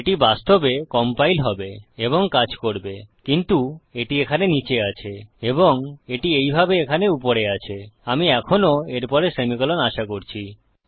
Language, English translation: Bengali, That would actually compile and work but because this is down here and this is the same as up here we are still expecting a semicolon after that